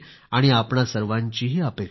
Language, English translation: Marathi, It is the wish of each one of us